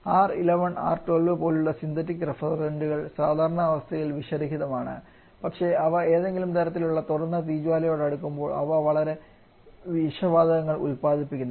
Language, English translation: Malayalam, Synthetic refrigerants like our R11 R12 they are non toxic under normal condition, but when they come in close to some kind open flame they produces highly toxic gases